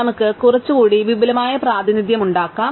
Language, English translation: Malayalam, So, let us make a slightly more elaborate representation